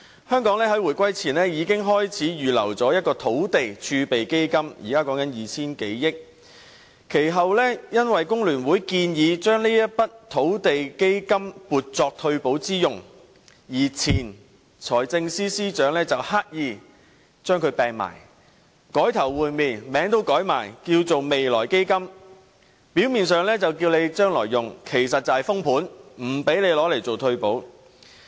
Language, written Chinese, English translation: Cantonese, 香港在回歸前已經開始預留土地儲備基金，現在已有 2,000 多億元，其後由於工聯會建議將這筆土地儲備基金撥作退休保障之用，前財政司司長便刻意將這筆錢收起，改頭換臉，連名字也改為"未來基金"，表面上是預留作未來用途，實質是"封盤"，不讓我們動用這筆錢來推行退休保障。, A reserve fund for revenue from land sales was set up prior to the reunification and the fund has a balance of 200 - odd billion at present . Subsequently since FTU proposed to use this land reserve fund for retirement protection the former Financial Secretary did a makeover deliberately to withhold the sum and even change the name of the fund to the Future Fund . On the surface the sum is reserved for future use yet in actuality the sum is frozen so that it cannot be used for the implementation of retirement protection